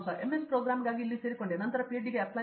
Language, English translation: Kannada, I joined MS program here and then I upgraded to PhD